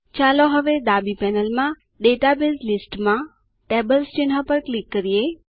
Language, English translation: Gujarati, Let us click on the Tables icon in the Database list on the left panel